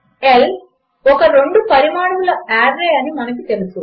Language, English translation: Telugu, As we know L is a two dimensional array